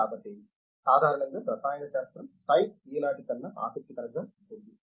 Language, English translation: Telugu, So, therefore, the chemistry generally, science can be more interesting than what it is today